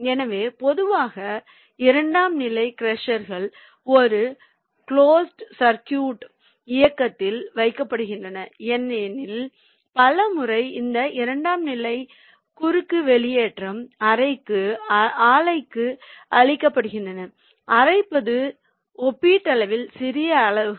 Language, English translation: Tamil, so normally the secondary crushers are put into a closed circuit operation because many a times this secondary crosses discharge is fed to a grinding mill